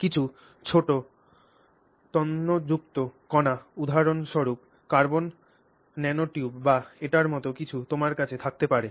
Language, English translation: Bengali, So, let's say they are small fibrous particles, for example say carbon nanotubes or something like that and you may have like this